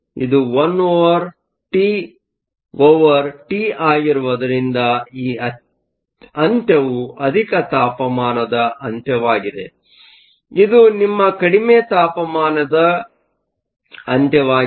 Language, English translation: Kannada, Since this is 1 over T, this end is the high temperature end; this is your low temperature end